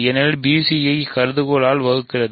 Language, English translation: Tamil, Because a divides b c by hypotheses a divides b c